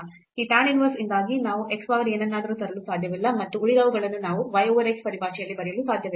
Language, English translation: Kannada, Because of this tan inverse we cannot bring x power something and the rest we cannot write in terms of y over x